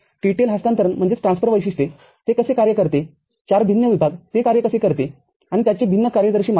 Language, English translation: Marathi, TTL transfer characteristics 4 distinct zones how it works and its different operating parameters